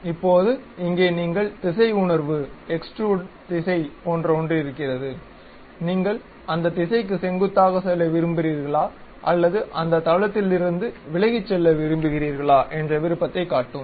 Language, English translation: Tamil, Now, here you have something like Directional sense, Direction of Extrusion whether you would like to go normal to that direction or away from that plane